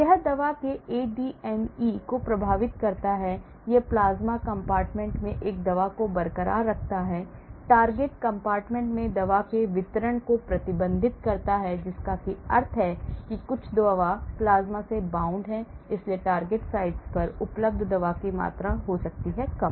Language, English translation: Hindi, It affects the ADME of the drug, it retains a drug in the plasma compartment, restricts distribution of drug in the target compartment that means because some of the drug is bound to the plasma, so the amount of drug available at the target site may be low